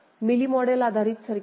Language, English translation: Marathi, Mealy model based circuit